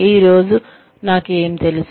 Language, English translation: Telugu, What do I know today